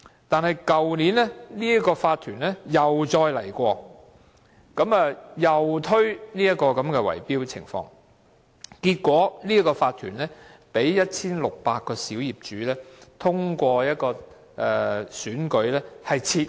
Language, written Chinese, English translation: Cantonese, 可是，去年這個業主法團又再提出這種圍標的建議，結果該法團被 1,600 名小業主透過選舉撤換。, However the OC put forth another bid - rigging proposal last year . Finally the OC was removed by 1 600 owners through an election